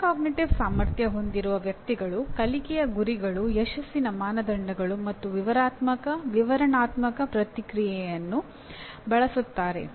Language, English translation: Kannada, So that is what a person with metacognitive ability will use learning goals, success criteria, and descriptive feedback